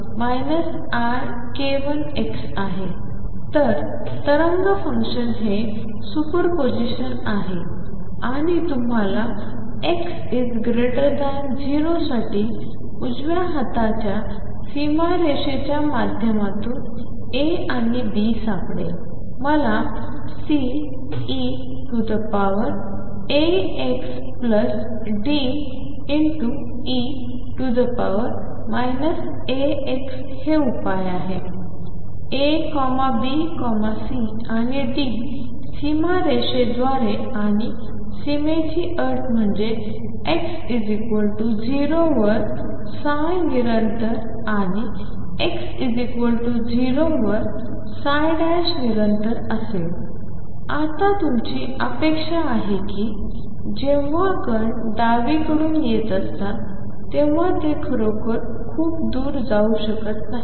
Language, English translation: Marathi, So, wave function is superposition and we will find A and B through boundary condition on the right hand side for x greater than 0 I have C e raised to alpha x plus D e raised to minus alpha x is the solution how do you find A, B, C and D through the boundary condition and boundary conditions are that is psi at x equals 0 be continuous and psi 1 at x equals 0 be continuous now our expectation is that when the particles are coming from left they cannot really go very far off on the right hand side noise